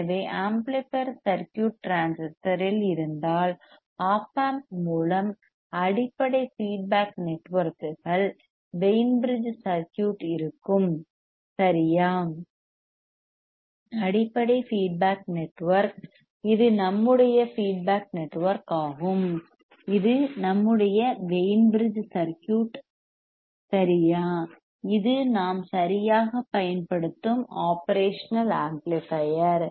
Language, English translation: Tamil, So, if the amplifier circuit is in transistor is replaced by a Op amp with the basic feedback networks remains as the Wein bridge circuit right; the basic feedback network this is our feedback network which is our Wein bridge circuit correct, this is the operation amplifier that we are using right